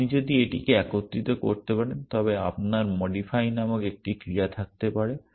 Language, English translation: Bengali, If you can combine this you can have a action called modify